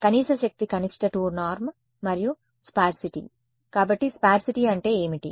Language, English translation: Telugu, Least energy is minimum 2 norm and sparsity; so, what is sparsity means